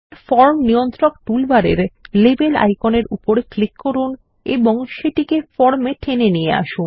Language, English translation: Bengali, We will click on the Label icon in the Form Controls toolbar at the top, and draw it on the form